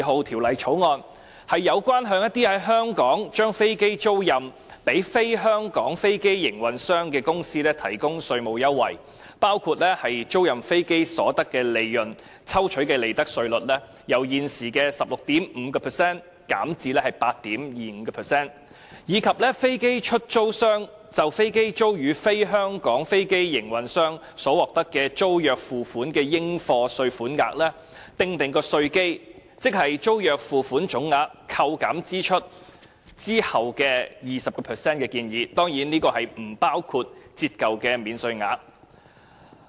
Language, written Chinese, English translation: Cantonese, 《條例草案》旨在向一些在香港將飛機租賃予"非香港飛機營運商"的公司提供稅務優惠，包括建議將租賃飛機所得的利潤抽取的利得稅稅率，由現時的 16.5% 減至 8.25%； 以及為飛機出租商就飛機租予"非香港飛機營運商"所獲得的租約付款的應課稅款額，訂定稅基為租約付款總額扣減支出後的 20%， 當然，這不包括折舊的免稅額。, The Bill aims to provide tax concession for companies in Hong Kong which lease aircraft to non - Hong Kong aircraft operators . It puts forth a proposal to reduce the profits tax rate for aircraft leasing profits from the prevailing 16.5 % to 8.25 % . It also proposes to set the assessable lease payments from leasing aircraft to a non - Hong Kong aircraft operator that is the tax base at 20 % of the gross lease payments less deductible expenses